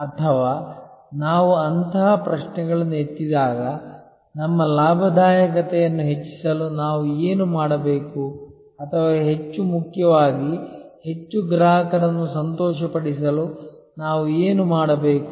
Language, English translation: Kannada, Or when we raise such questions like, what should we do to increase our profitability or more importantly what should we do to delight more customers